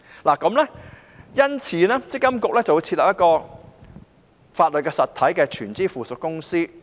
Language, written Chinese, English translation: Cantonese, 為此，積金局會設立一間屬法律實體的全資附屬公司。, MPFA will therefore establish a wholly owned subsidiary as a legal entity for this purpose